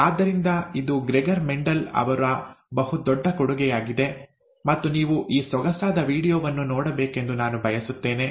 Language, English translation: Kannada, So that is, that was a big contribution by Mendel, Gregor Mendel, and I would like you to watch this very nice video